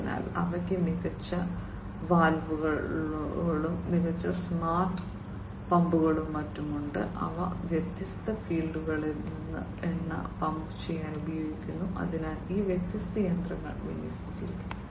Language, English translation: Malayalam, So, they also have smarter valves, smarter smart pumps and so on, which are used to pump out oil from the different fields, in which these different machinery are deployed